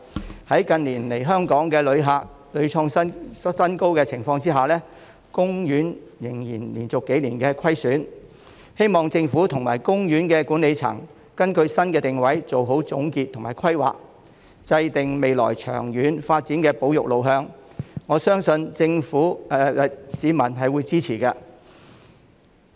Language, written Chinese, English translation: Cantonese, 即使近年訪港旅客人次屢創新高，但海洋公園仍然連續數年錄得虧損，希望政府和海洋公園管理層根據新的定位做好總結和規劃，制訂未來長遠發展的保育路向，我相信市民是會支持的。, Even with the number of tourists reaching record highs in recent years the Ocean Park has still recorded losses for several years in a row . I hope the Government and the management of the Ocean Park will make a summing - up and a better planning according to its new positioning and formulate a long - term conservation direction for future development which I believe will obtain public support